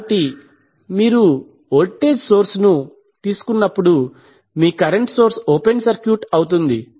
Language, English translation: Telugu, So, when you take the voltage source your current source will be open circuited